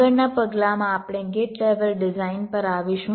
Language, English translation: Gujarati, ok, in in the next step we come to the gate level design